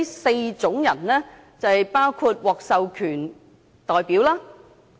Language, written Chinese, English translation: Cantonese, 四類"訂明申索人"包括"獲授權代表"。, The four categories of prescribed claimant include authorized representative